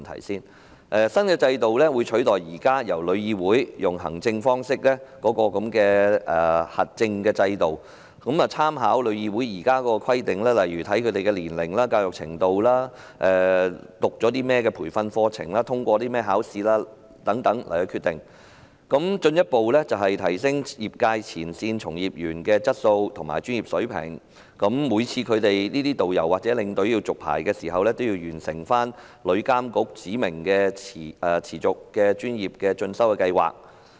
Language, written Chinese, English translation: Cantonese, 新的制度會取代旅議會現時藉行政方式實施的核證制度，並會在決定是否發牌時參考現時旅議會的規定，例如申請人的年齡、教育程度、曾修讀的培訓課程及通過的考試等，以進一步提升業界前線從業員的質素和專業水平；而導遊或領隊每次續牌時，均須完成旅遊業監管局指明的持續專業進修計劃。, The new regime will replace the current accreditation system implemented by TIC through administrative means and when making licensing decisions reference will be made to TICs current requirements such as the age and education level of applicants the training courses attended and examinations passed so as to further enhance the quality and professionalism of frontline trade practitioners . Upon each licence renewal tourist guides and tour escorts will have to complete the Continuing Professional Development Scheme specified by the Travel Industry Authority